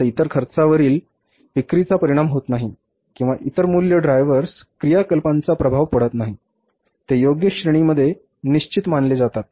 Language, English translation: Marathi, Now, other expenses are not influenced by the sales or other, say, costs, driver activity and are regarded as a fixed within appropriate relevant of ranges